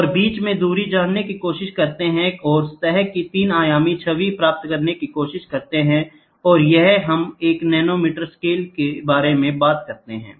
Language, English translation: Hindi, And knowing the distance between try to superimpose and try to get a images a 3 dimensional image of the surface, and here we talk about a nanometer scales